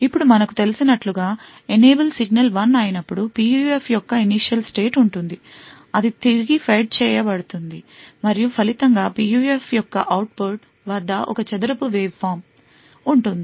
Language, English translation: Telugu, Now as we know, when the enable signal is 1, there is an initial state of the PUF which gets fed back and as a result there is a square waveform which gets present at the output of the PUF